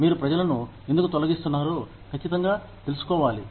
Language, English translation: Telugu, you need to be sure of, why you are laying people off